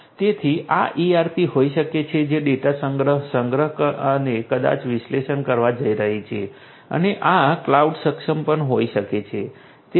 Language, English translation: Gujarati, So, this may be the ERPs which is going to do the data collection, storage and may be analysis and this could be even cloud enabled